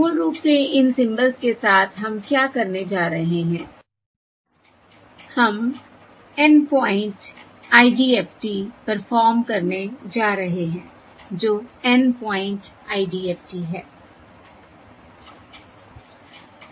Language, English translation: Hindi, so typically, you will also see, basically it is the N point IDFT which is the same as the N point IFFT